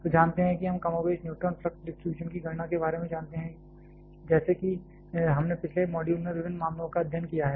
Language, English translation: Hindi, So, know we more or less know about how to calculate the neutron flux distribution like we have studied different cases in the previous module